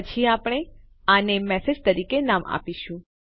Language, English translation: Gujarati, Then we will name it as message